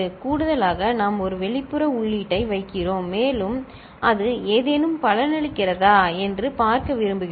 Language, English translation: Tamil, In addition, we are putting an external input, and would like to see if it is of any use